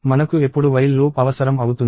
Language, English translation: Telugu, When do we need a while loop